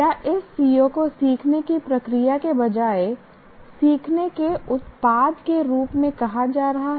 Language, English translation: Hindi, Is the C O stated as a learning product rather than in terms of learning process